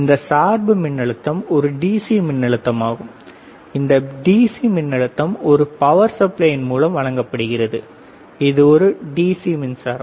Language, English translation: Tamil, This bias voltage is a DC voltage this DC voltage is given using a power supply it is a DC power supply